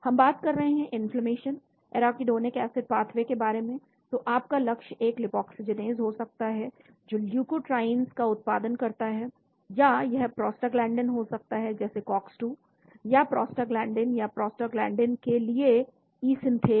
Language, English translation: Hindi, We are talking about inflammation, arachidonic acid pathway, so your target could be a lipoxygenase which produces leukotrienes or it could be prostaglandins like cox 2, or prostaglandin or E synthase towards prostaglandin